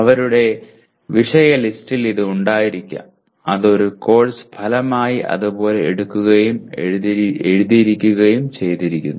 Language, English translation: Malayalam, In their topic list this could be there and that is picked up and written as a course outcome